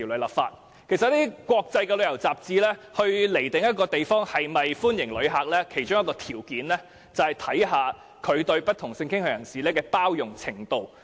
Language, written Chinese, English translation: Cantonese, 其實一些國際旅遊雜誌判定一個地方是否歡迎旅客，其中一個條件是該地方對不同性傾向人士的包容度。, As a matter of fact one criterion adopted by certain international tourism magazines to determine whether a place welcomes visitors is its acceptance of people of different sexual orientations